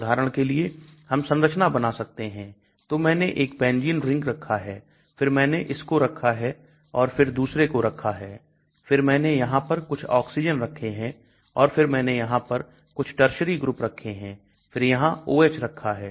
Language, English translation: Hindi, For example, I can draw the structures so I put in a benzene ring then I put in this one then I put another one, then I put some oxygen here and then I put a tertiary group here then OH here